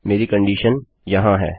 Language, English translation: Hindi, My condition is here